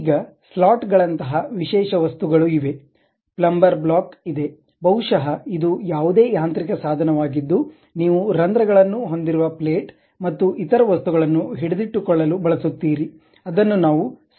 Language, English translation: Kannada, Now, there are specialized objects like slots, something like you have a plumber blocks, maybe any mechanical device where you want to keep something like a plate with holes and other things that kind of things what we call slots